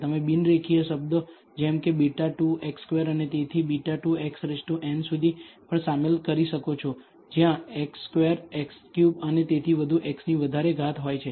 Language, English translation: Gujarati, You can also include non linear terms such as beta 2 x squared and so on up to beta n x power n, where x square x cube and so on are higher powers of x